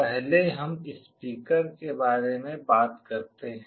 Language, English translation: Hindi, First let us talk about a speaker